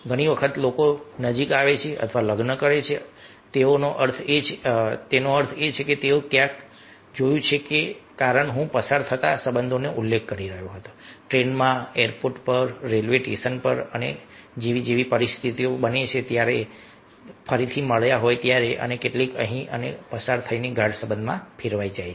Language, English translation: Gujarati, it happens, ah, many times people come closer or become, get married, just means they saw some were, as i was mentioning, passing relationship in the train, at the airport, railway station and situation, ah, it happen so that they met again and some here, and this passing was converted into deep relationship